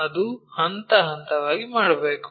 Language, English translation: Kannada, How to do that step by step